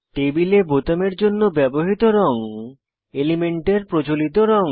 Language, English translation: Bengali, Colors used for buttons in the table are conventional colors of the elements